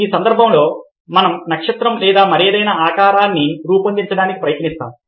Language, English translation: Telugu, in this case we try to create the shape of a star or whatever